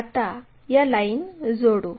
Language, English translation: Marathi, Join these lines